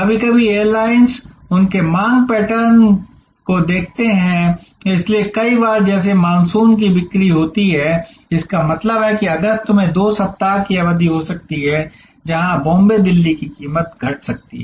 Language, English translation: Hindi, Sometimes airlines looking at their demand pattern, so like many time you have monsoon sale; that means, there may be a two weeks period in August, where the Bombay Delhi price may be slashed